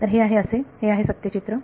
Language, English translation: Marathi, So, this is; so this is the true picture